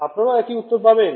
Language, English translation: Bengali, You will get the same thing right